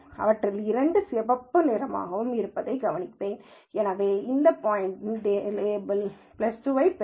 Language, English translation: Tamil, Then I will notice that two out of these are red, so this point will get a label plus 2